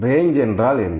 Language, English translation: Tamil, What is actually range